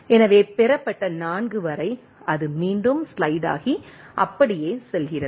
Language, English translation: Tamil, So, up to 4 received, it slides again and go on like that